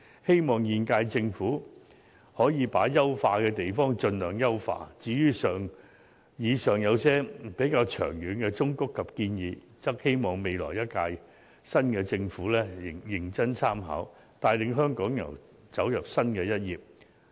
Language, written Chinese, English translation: Cantonese, 希望現屆政府把可以優化的地方盡量優化，至於以上一些較長遠的忠告及建議，則希望新政府能認真參考，帶領香港揭開新的一頁。, I hope the current - term Government can as far as possible improve what can be improved . For some of the longer - term advice and suggestions mentioned above I hope the new Government can seriously consider them and lead Hong Kong into a new chapter